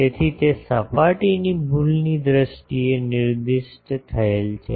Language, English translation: Gujarati, So, that is specified in terms of surface error